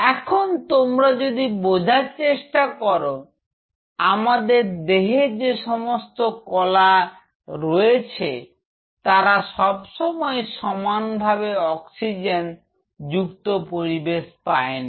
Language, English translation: Bengali, Now, if you realize each one of these tissues which are there in our body, they are not continuously in an oxygenated environment